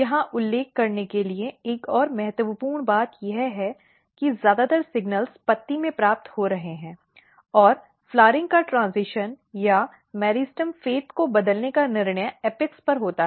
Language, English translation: Hindi, Another important thing to mention here that the most of the signals are getting received in the leaf and transition of the flowering or the decision to change the meristem fate occurs at the apex